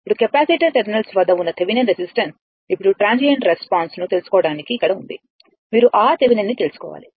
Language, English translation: Telugu, Now, the Thevenin resistance at the capacitor terminals are now here to find out the transient response; you have to find out that R Thevenin right